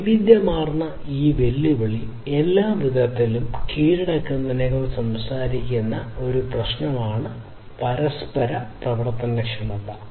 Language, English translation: Malayalam, So, interoperability is this issue which talks about conquering this challenge of heterogeneity in all different respects